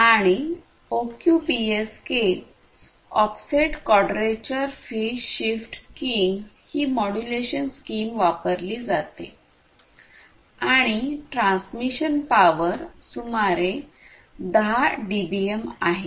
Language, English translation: Marathi, And, the modulation scheme that is used is the OQPSK offset quadrature phase shift keying and the transmission power is around 10 dBm